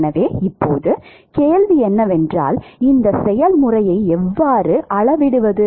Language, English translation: Tamil, So now, the question is how do we quantify this process